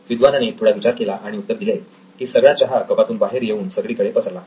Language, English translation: Marathi, The scholar thought about it and said well the all the tea spilled out, it is all around